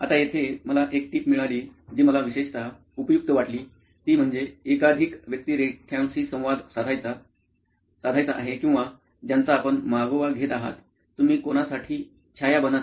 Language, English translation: Marathi, Now again a tip here which I found it particularly useful is to have multiple personas who will be interacting with or whom you are going to track, whom you’re going to shadow